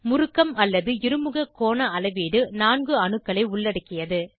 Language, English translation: Tamil, Measurement of torsional or dihedral angle involves 4 atoms